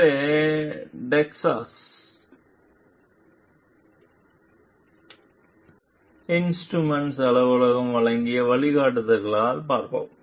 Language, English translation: Tamil, So, we will see by the guidelines given by Texas Instruments Office